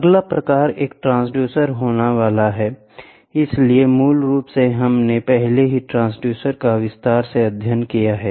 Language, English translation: Hindi, The next type is going to be a transducer, so, basically, a transducer is we studied transducers in detail